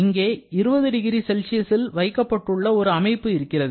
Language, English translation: Tamil, So, here I have got a system which is kept at 20 degree Celsius